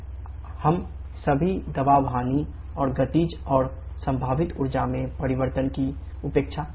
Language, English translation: Hindi, We can neglect all the pressure losses and changes in Kinetic and potential energy